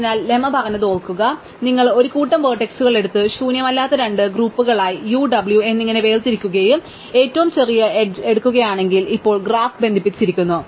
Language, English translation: Malayalam, So, recall what the lemma said, it said if you take a set of vertices and separate out into two non empty groups U and W and if we take the smallest edge, now the graph is connected